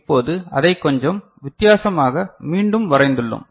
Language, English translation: Tamil, Now, we have redrawn it in a little bit different manner